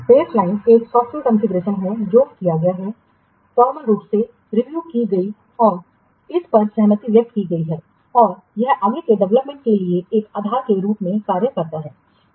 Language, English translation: Hindi, Baseline is a software configuration that has been formally reviewed and agreed upon and it serves as a basis for further development